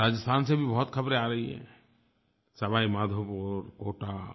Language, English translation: Hindi, Many news are coming from Rajasthan; Sawai Madhopur, Kota